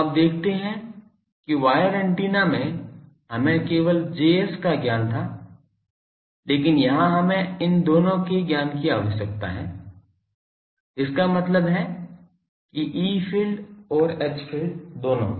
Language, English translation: Hindi, So, you see that in wire antennas we have had the knowledge of only Js, but here we require both this knowledge; that means E field and H field both an